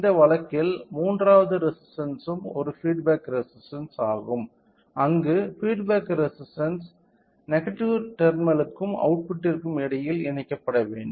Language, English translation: Tamil, So, in this case the third resister is a feedback resistor where the feedback resistor should be connected between the negative terminal and the output